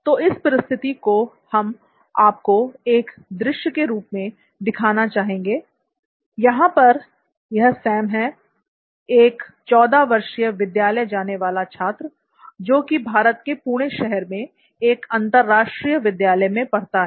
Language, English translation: Hindi, So in this situation what we are going to show you as a scene where this is Sam, a 14 year old school going student, he studies in an international school in Pune, India and let us see what happens in a classroom